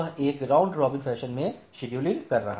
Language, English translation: Hindi, So, it is scheduling it in a round robin fashion